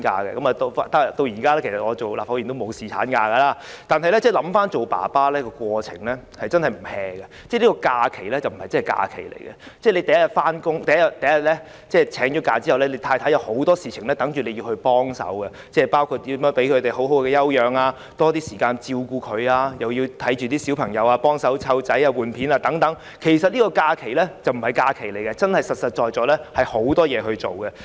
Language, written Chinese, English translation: Cantonese, 其實我今天當了立法會議員也沒有，但回憶起當爸爸的過程真的不清閒，這個假期並不是真假期，由請假的第一天起，太太已有很多事情等着我幫忙，包括如何讓太太好好休養身體、給多些時間照顧她，又要幫忙照顧小朋友、更換尿片等，其實這個假期並非假期，而是實實在在有很多事情要做。, But I remember the time when I became a father it was really busy . I took leave but it was no holiday . There were many things waiting for me to do for my wife since the first day of my leave such as how to let my wife take a good rest and spare more time to look after her and I also have to help taking care of the children by for instance changing their diapers